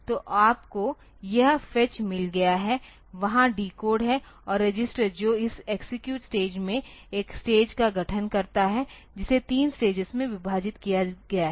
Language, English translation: Hindi, So, you have got this fetch is there decode and register it that constitutes one stage at this execute stage is divided into three stages